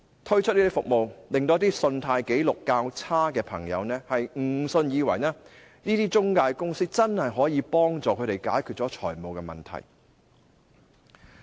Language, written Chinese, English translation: Cantonese, 推出這樣的服務，令到一些信貸紀錄較差的朋友，誤以為這些中介公司真的可以幫助他們解決財務問題。, The launch of such services has led some people with relatively poor credit records to mistakenly believe that these intermediaries can really help them resolve their financial problems . The Money Lenders Ordinance Cap